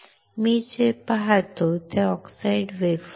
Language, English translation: Marathi, What I see is oxidized wafer